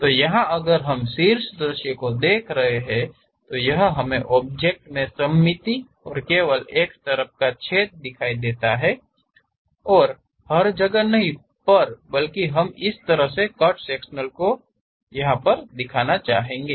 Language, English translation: Hindi, So, here if we are looking the top view, object symmetric and we have hole only on one side, not everywhere and we would like to show such kind of cut sectional view